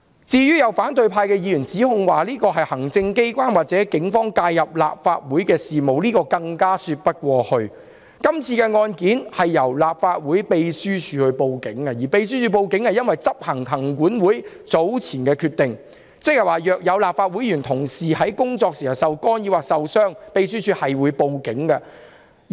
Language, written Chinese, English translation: Cantonese, 至於有反對派議員指控這是行政機關或警方介入立法會事務，這更說不過去，因為今次案件由立法會秘書處報案，而秘書處只是執行行政管理委員會早前的決定，即若有立法會議員或同事在工作時受干擾或受傷，秘書處會報警處理。, Some Members of the opposition camp allege that this is interference in the affairs of the Legislation Council by the executive or the Police but this point cannot stand because this case was reported by the Legislative Council Secretariat . The Secretariat simply executed the earlier decision made by the Legislative Council Commission ie . if any Member or colleague in the Legislative Council has been disrupted or injured at work the Secretariat will report the matter to the Police